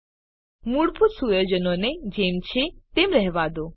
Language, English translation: Gujarati, Keep all the default settings as it is